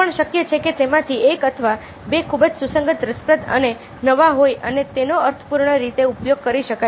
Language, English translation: Gujarati, it's also possible that one or two of them are very, very relevant, interesting and new and can be used in meaning full name